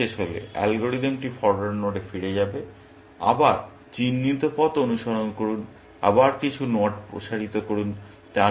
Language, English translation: Bengali, Once this ends, the algorithm will go back to the forward node; again, follow the mark